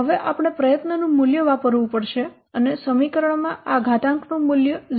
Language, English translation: Gujarati, So now I have to use the value of effort and the value of this exponent is 0